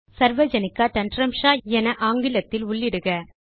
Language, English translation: Tamil, Type Sarvajanika Tantramsha in English